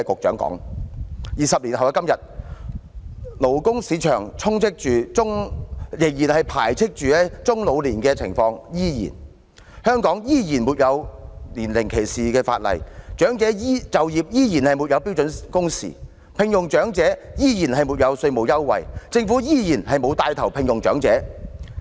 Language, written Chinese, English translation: Cantonese, 在20年後的今天，勞工市場排斥中老年的情況依然，香港依然沒有年齡歧視的法例，長者就業依然沒有標準工時，聘用長者依然沒有稅務優惠，政府依然沒有牽頭聘用長者。, An age discrimination law has not yet been enacted in Hong Kong . Standard working hours has not yet been implemented for elderly employees . Tax concession has not yet been provided for the employment of elderly workers